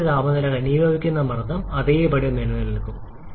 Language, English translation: Malayalam, Condenser maximum temperature and condensation pressure remains the same